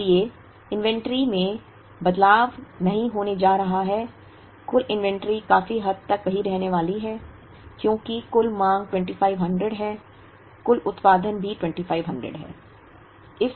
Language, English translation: Hindi, So, inventory is not going to change, the total inventory is going to remain the same largely because the total demand is 2500, total production is also 2500